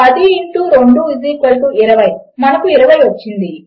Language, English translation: Telugu, 10 times 2 is 20 and weve got 20